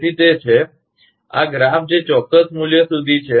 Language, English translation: Gujarati, So that is, this graph that up to certain value